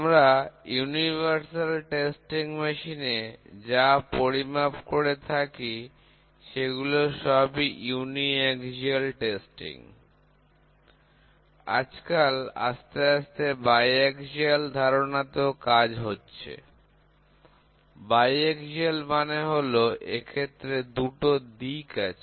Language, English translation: Bengali, All the measurement what we do in a in the universal testing machine is on a uniaxial testing, today slowly the concept of biaxial is also coming up, biaxial means, it is basically in 2 directions